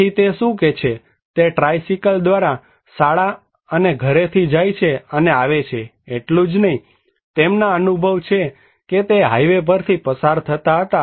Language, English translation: Gujarati, So, what is that he is going and coming from school and home by tricycle, not only that he has the experience that he used to go through highways